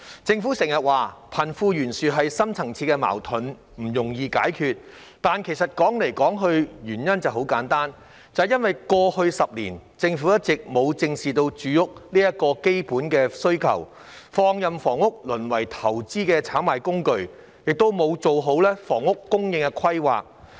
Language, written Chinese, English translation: Cantonese, 政府經常說貧富懸殊是深層次矛盾，不容易解決，但歸根究底，原因很簡單，便是因為過去10年，政府一直沒有正視住屋這個基本需求，放任房屋淪為投資炒賣工具，亦沒有做好房屋供應規劃。, The Government often says that the disparity between the rich and the poor is a deep - seated conflict with no easy solution but at the end of the day the cause is simply that over the past decade the Government has not faced up to the fundamental demand for housing allowing housing to be reduced to a tool for investment and speculation nor has it properly planned for housing supply